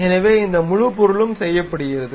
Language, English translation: Tamil, So, this entire object is done